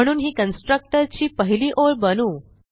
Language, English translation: Marathi, So make it the first line of the constructor